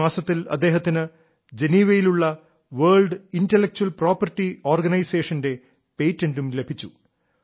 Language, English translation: Malayalam, This month itself he has received patent from World Intellectual Property Organization, Geneva